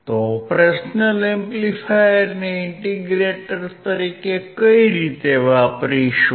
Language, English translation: Gujarati, How to use operational amplifier as an integrator